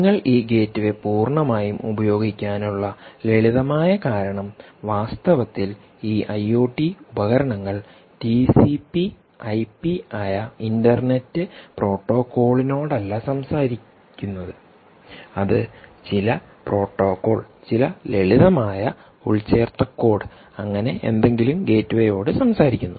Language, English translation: Malayalam, one simple way is you use this gateway purely because of the fact that these i o t devices don't talk the de facto internet protocol, which is essentially t c p i p, they in fact talk something, some protocol, some simple embedded code which essentially can communicate in its minimalistic way to this gateway